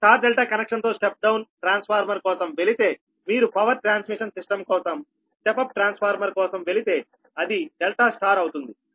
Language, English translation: Telugu, if you go for step down transformer with star delta connection, if you go for step up transformer for power transmission system, then it will be delta star, right